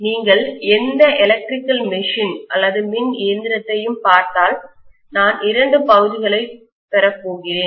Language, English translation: Tamil, If you look at any electrical machine, I am going to have two portions